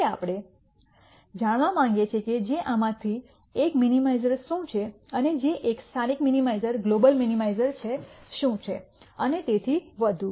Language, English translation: Gujarati, Now, we want to know which one of this is a minimizer and which one is a local minimizer global minimizer and so on